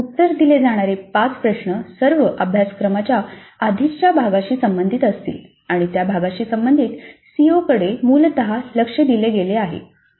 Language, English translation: Marathi, So the five questions to be answered will all belong to the earlier part of the syllabus and the COs related to that part are essentially focused upon